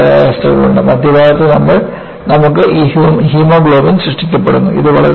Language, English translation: Malayalam, We also have hollow bones, the center portion, you have this hemoglobin is generated